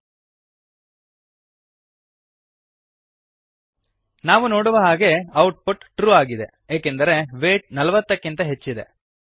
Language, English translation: Kannada, Save and Run As we can see, the output is False because the value of weight is not equal to 40